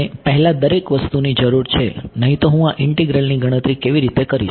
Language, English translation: Gujarati, I need everything before otherwise how will I calculate this integral right